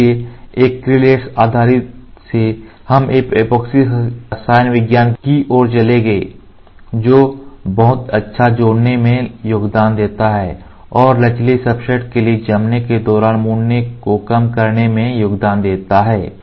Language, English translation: Hindi, So, from acrylic based we went to epoxy chemistry to which contributes to excellent adhesion and reduce tendency for flexible substrate to curl during curing